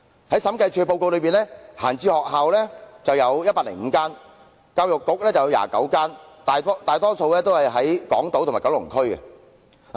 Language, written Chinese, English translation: Cantonese, 在審計署的報告中，空置校舍共有105間，教育局轄下有29間，大多數位於港島和九龍區。, According to a report published by the Audit Commission there are a total of 105 vacant school premises of which 29 are under the Education Bureau and most of them are located on Hong Kong Island or in Kowloon